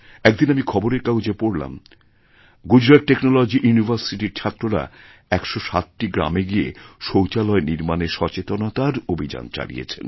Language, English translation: Bengali, I recently read in a newspaper that students of Gujarat Technological University launched a Jagran Abhiyan Awereness Campaign to build toilets in 107 villages